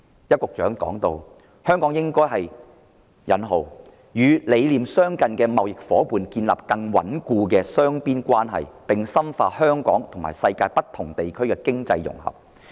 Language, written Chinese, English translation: Cantonese, 邱局長表示，香港應該與理念相近的貿易夥伴建立更穩固的雙邊關係，並深化香港和世界不同地區的經濟融合。, According to Secretary Edward YAU Hong Kong should establish stronger bilateral ties with like - minded trading partners and deepen Hong Kongs economic integration with different parts of the world